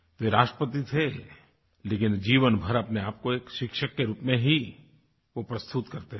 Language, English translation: Hindi, He was the President, but all through his life, he saw himself as a teacher